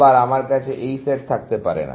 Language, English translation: Bengali, So, I cannot have this set